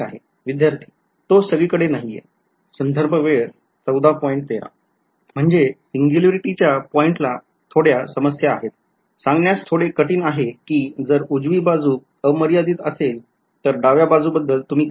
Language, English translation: Marathi, I mean at the point of the; at the point of the singularity there is a bit of a problems, hard to say if the right hand side is infinity what do you say about the left hand side right